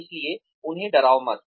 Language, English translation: Hindi, So, do not scare them